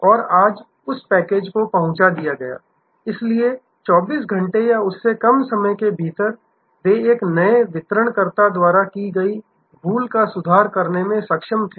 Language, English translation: Hindi, And today that package was delivered, so within 24 hours or less, they were able to recover from lapse caused by a new delivery person